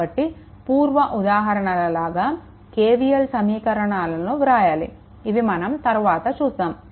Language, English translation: Telugu, So, same as before, if you write the your KVL equations, for the for these one later it is written